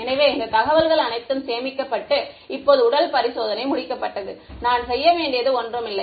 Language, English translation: Tamil, So, all of this information is stored and now the physical experiment is over, there is nothing more I have to do